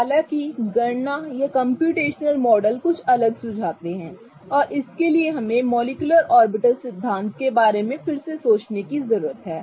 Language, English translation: Hindi, However, the calculations or the computational models suggest something different and for this we need to think about the molecular orbital theory again